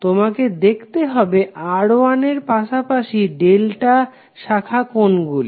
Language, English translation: Bengali, You have to simply see what are the delta branches adjacent to R1